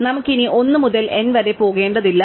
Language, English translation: Malayalam, We no longer have to go through 1 to n